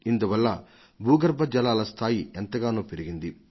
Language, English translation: Telugu, Due to this there has been an increase in the ground water level